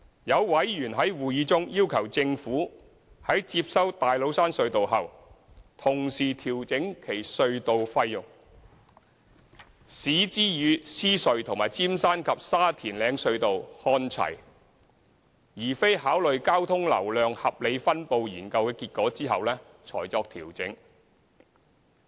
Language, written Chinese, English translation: Cantonese, 有委員在會議中要求政府，在接收大老山隧道後，同時調整其隧道費，使之與獅隧和尖山及沙田嶺隧道看齊，而非考慮交通流量合理分布研究的結果後才作調整。, Some members requested in a Panel meeting that the Government should bring the toll level of TCT in line with those of LRT and Route 8K upon taking over TCT instead of awaiting the outcome of the toll rationalization study